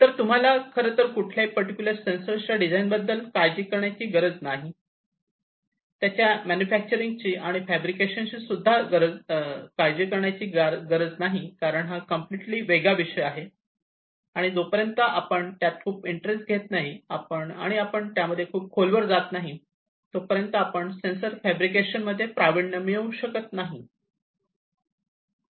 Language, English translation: Marathi, So, you do not need to really worry about the designing of a particular sensor, the manufacturing of it, the fabrication of it, because that is a completely different ballgame and we really unless we are very much interested, and we dig deep into each of these, we will not be able to master the sensor fabrication